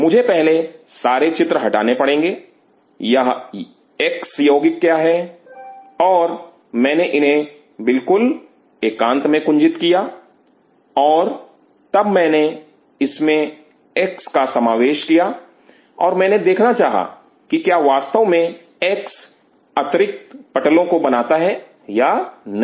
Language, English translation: Hindi, I have to fist a of all figure out what is this x compound, and I grove these in absolute isolation and then in this I introduce that x, and I wanted to see does the x develop that additional roof or not